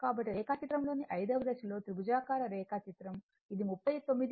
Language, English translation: Telugu, So, in the 5 th Phase in the diagram Triangle diagram we have seen this was 39